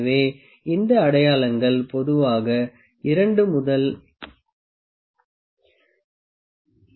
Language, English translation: Tamil, So, these markings are generally from 2 to 10 mm